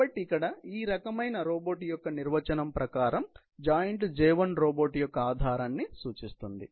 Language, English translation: Telugu, So, this probably is the definition of this kind of robot and the J1 joint signifies the base of the robot